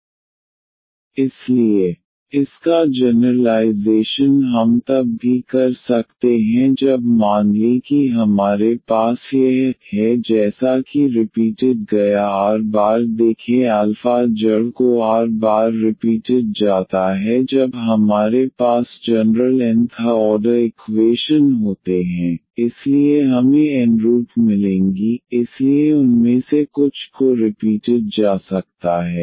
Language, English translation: Hindi, So, y is equal to c 1 x plus c 2 times this e power alpha x and the generalization of this we can also get when suppose we have this alpha as a repeated r times see the alpha root is repeated r times when we have a general end nth order equations, so we will get n roots so some of them may be repeated